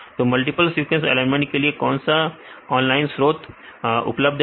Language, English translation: Hindi, What are the online resources available for multiple sequence alignment